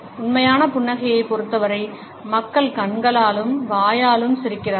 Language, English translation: Tamil, In case of genuine smiles, people smile both with their eyes and mouth